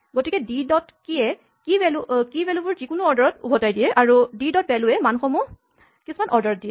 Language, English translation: Assamese, So, d dot keys returns the key is in some order, d dot values gives you the values in some order